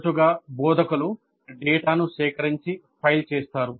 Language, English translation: Telugu, Often the instructors collect the data and simply file it